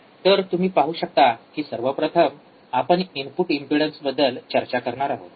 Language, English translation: Marathi, Ah so, if you see the first one that we will be discussing is the input impedance